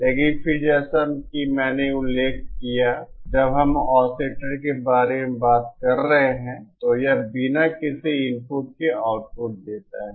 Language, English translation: Hindi, But then as I mentioned, when we are talking about oscillators, it produces an output without any input